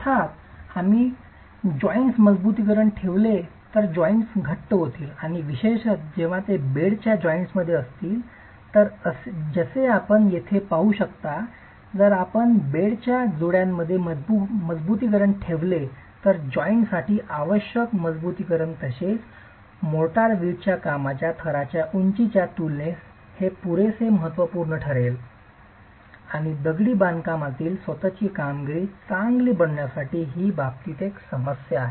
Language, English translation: Marathi, Of course if you place reinforcement in joints, the joints will become thicker and particularly when they are in the bed joints as you see here if you place reinforcement in the bed joints the reinforcement plus the motor that is required for the joint is going to be significant enough in comparison to the height of the brickwork layer itself